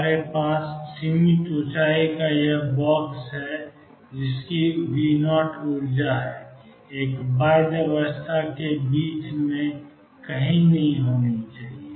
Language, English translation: Hindi, We have this box of finite height V 0 energy must be somewhere in between for a bound state